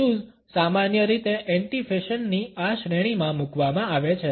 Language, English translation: Gujarati, Tattoos are normally put in this category of anti fashion